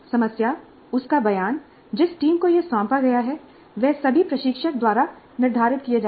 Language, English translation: Hindi, The problem, its statement, the team to which it is assigned, they're all dictated by the instructor